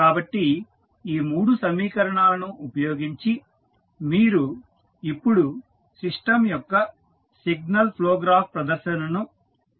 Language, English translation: Telugu, So, using these 3 equations, you have now created the signal flow graph presentation of the system